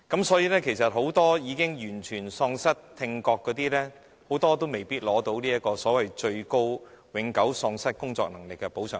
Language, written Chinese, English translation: Cantonese, 所以，其實很多已經完全喪失聽覺的人，都未必獲得永久喪失工作能力的最高補償額。, As a result many people who have suffered from total deafness might not be granted the maximum compensation for permanent incapacity